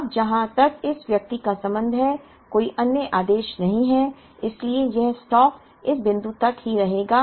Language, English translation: Hindi, Now, as far as this person is concerned there is no other order so this stock will remain the same up to this point